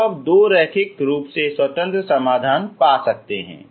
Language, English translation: Hindi, So you can find two linearly independent solutions